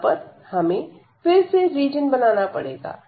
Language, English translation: Hindi, So, again we need to draw the region here